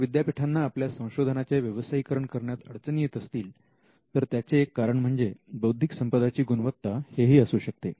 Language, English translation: Marathi, So, if universities are having problem in commercializing IP it could also be due to the quality of the IP itself